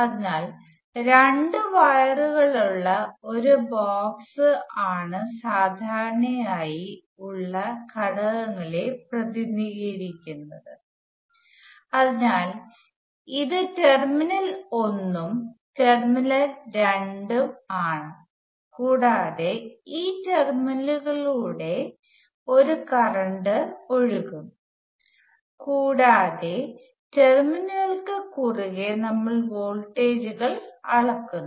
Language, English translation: Malayalam, So the generic element is represented by a box with two wires sticking out like this so this is terminal 1 and terminal 2 and a current can flowing through this terminal, and we measure voltages across any pairs of terminals